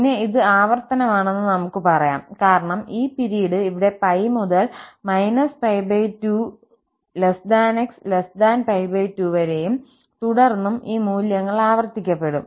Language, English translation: Malayalam, Then, we can say that this is periodic because this period is here pi from minus pi by 2 to pi by 2 and then this value will be repeated